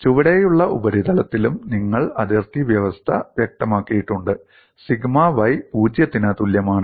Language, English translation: Malayalam, On the bottom surface, and also you have specified the boundary conditions, sigma y equal to 0